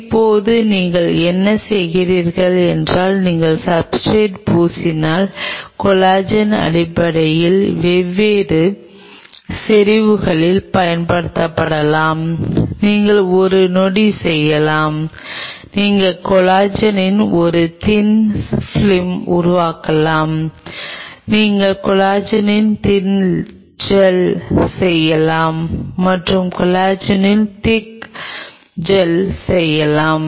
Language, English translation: Tamil, Now what you do is once you coat the substrate, in terms of collagen could be used at different concentrations you can make a one second; you can make a Thin Film of Collagen, you can make a Thin Gel of Collagen and you can make a Thick Gel of Collagen